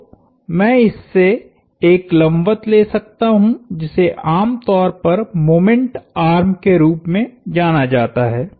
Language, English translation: Hindi, So, I can take a perpendicular to this, that is what is usually referred to as moment arm